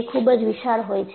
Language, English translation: Gujarati, Now, it is so huge